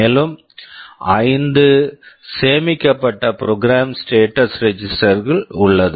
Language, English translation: Tamil, And there are 5 saved program status register